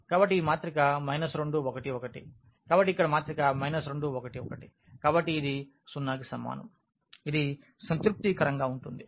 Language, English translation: Telugu, So, this minus 2 1 1 so, here minus 2 1 and 1, so, this is equal to 0, it satisfies